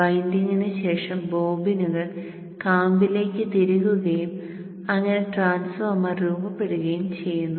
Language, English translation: Malayalam, So then after winding the bobbins are inserted into the core to form a completed transformer